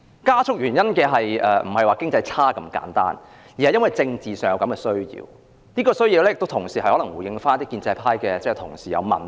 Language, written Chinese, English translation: Cantonese, 加速並不是經濟差那麼簡單，而是由於政治上的需要，可能是要回應某些建制派同事的批評。, This acceleration is not only attributable to a poor economy but also the political need to respond to the criticisms of some pro - establishment colleagues